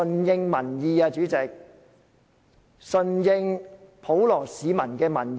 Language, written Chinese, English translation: Cantonese, 主席，政府必須順應普羅市民的民意。, President the Government must follow public opinion